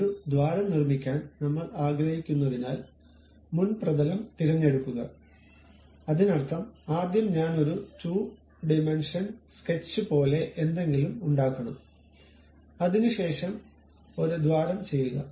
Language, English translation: Malayalam, Pick the front plane because I would like to make a hole; that means, first I have to make something like a 2 dimensional sketch after that drill a hole through that